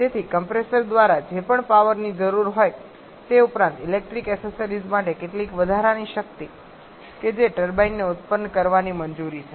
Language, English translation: Gujarati, So, whatever is the power required by the compressor plus some additional power for the electrical accessories that is what the turbine is allowed to produce